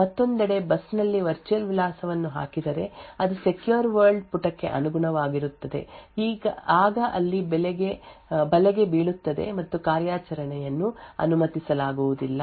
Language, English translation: Kannada, On the other hand if a virtual address is put out on a bus which actually corresponds to a secure world page then there would be a trap and the operation would not be permitted